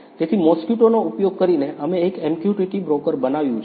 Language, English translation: Gujarati, So, using Mosquito, we have created a MQTT broker